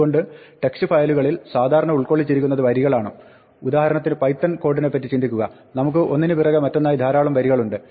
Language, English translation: Malayalam, So, text file usually consists of lines; think of python code, for example, we have lines after lines after lines